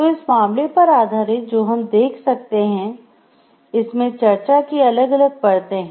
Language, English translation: Hindi, So, based on this case what we can see there are different layers of this discussion